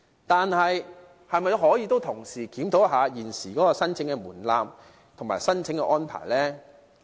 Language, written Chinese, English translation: Cantonese, 但是，是否可以同時檢討現時的申請門檻及申請安排呢？, However can he also review the existing threshold and arrangement of application?